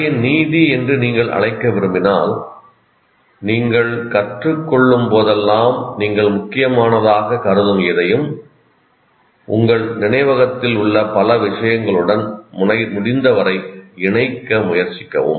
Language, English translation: Tamil, If you want to call it moral of the story is that whenever you learn, try to associate whatever you learn which you consider important to as many things in your memory as they are in the past